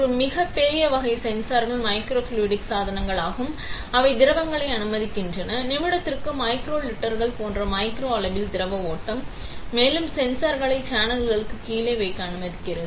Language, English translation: Tamil, One very big class of sensors are the microfluidic devices, which allow for fluids, fluid flow in the micro scale like micro litres per minute; and also allows for sensors to be kept below the channel